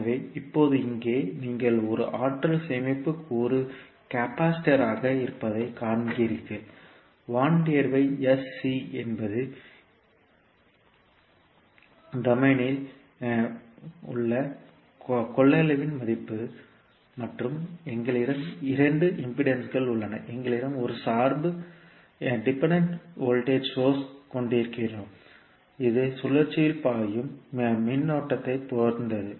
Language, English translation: Tamil, So now here you see that you have one energy storage component that is capacitor, 1 by sC is the value of the capacitance in s domain and we have 2 resistances we have one dependent voltage source which depends upon the current flowing in the loop